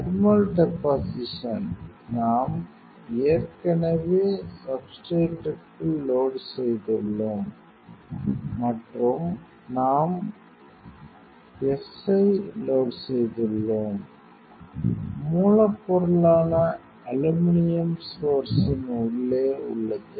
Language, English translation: Tamil, Thermal deposition means, we are already we have loaded inside the substrate and we have loaded the filaments; source means aluminum material is there inside the source